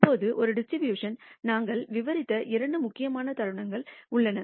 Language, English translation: Tamil, Now there are two important moments that we described for a distribution